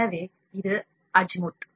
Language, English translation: Tamil, So, this is azimuth